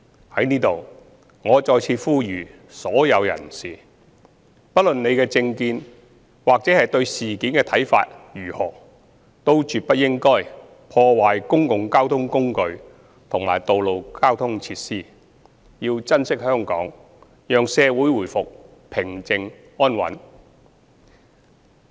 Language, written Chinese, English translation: Cantonese, 在此，我再次呼籲所有人士，不論你的政見或對事件的看法如何，都絕不應該破壞公共交通工具及道路交通設施，要珍惜香港，讓社會回復平靜安穩。, I hereby once again urge all people that regardless of your political stance or views towards the incidents you should never damage the public transport vehicles and road traffic facilities . We should all treasure Hong Kong and restore calm and stability in society